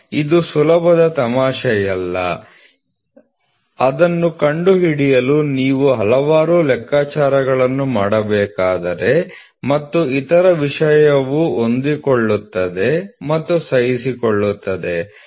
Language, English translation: Kannada, It is not an easy joke it you have to do a several calculations to figure it out and the other thing is fits and tolerance